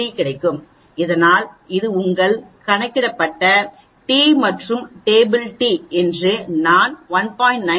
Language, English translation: Tamil, 633 so that is the table t and according to sorry that that will be your calculated t and table t I have written as 1